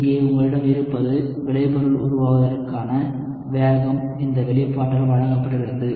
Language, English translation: Tamil, So, here, what you have is the rate of formation of the product is given by this expression